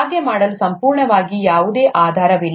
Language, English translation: Kannada, There is absolutely no basis to do that